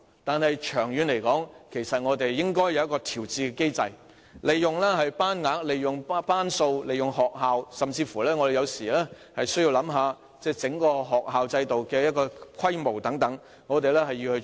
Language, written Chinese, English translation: Cantonese, 但是，長遠而言，其實我們應設立調節機制，善用班額、班數和學校的設施，甚至需要思考整個學校制度的規模等，這是我們應該做的事。, In the long term actually we should set up an adjustment mechanism for optimizing the class sizes number of classes and facilities in schools . We even need to ponder on the scale of the whole school system and so on . This is what we should do